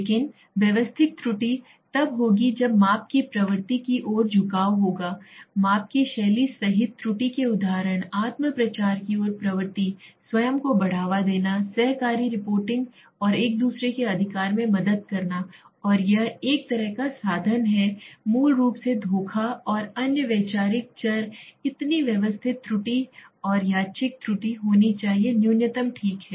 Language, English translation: Hindi, But systematic error will happen when the style of measurement tendency towards there is the example sources of error including the style of measurement, tendency towards self promotion, promoting oneself, cooperative reporting and helping each other right and this is means kind of cheating basically and other conceptual variables so systematic error and random error should be minimum okay